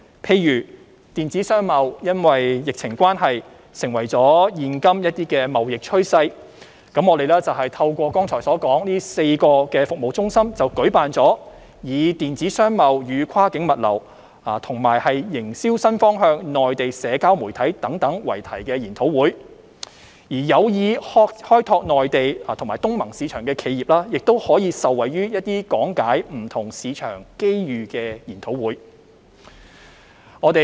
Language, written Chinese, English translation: Cantonese, 例如，電子商貿因疫情關係成為現今貿易趨勢，我們便透過剛才所說的4個服務中心舉辦以"電子商貿與跨境物流"及"營銷新方向─內地社交媒體"等為題的研討會；而有意開拓內地及東盟市場的企業，亦可受惠於講解不同市場機遇的研討會。, For instance as e - commerce has now become a trend in trend under the epidemic we have organized webinars on E - Commerce and Cross - Border Logistics and New Marketing Trend―Social Media in the Mainland through the four service centres just mentioned . Meanwhile enterprises interested in exploring the mainland and ASEAN markets could also benefit from seminars on various market opportunities